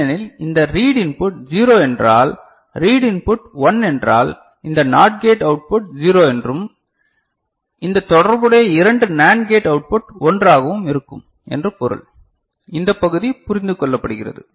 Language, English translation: Tamil, Because, this read input 0 means read input 1 means this NOT gate output is 0 and corresponding these two NAND gate output will be 1, this part is understood